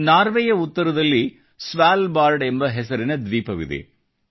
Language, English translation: Kannada, There is an island named Svalbard in the north of Norway